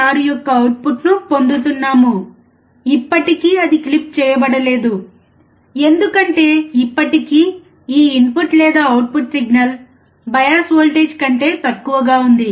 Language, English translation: Telugu, 6, still it is not clipped, because, still this input or the output signal is less than the bias voltage